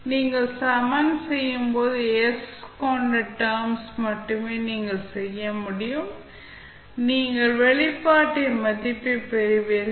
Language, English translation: Tamil, When you equate, only the terms having s, you can, you will get the value of expression